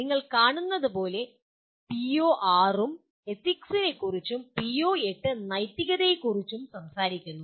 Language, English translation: Malayalam, As you see the PO6 also talks about Ethics and PO8 is exclusively on Ethics